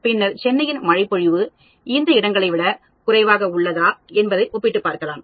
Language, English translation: Tamil, Then, I may make a comparison on whether the rainfall in Chennai is lower than rest of these places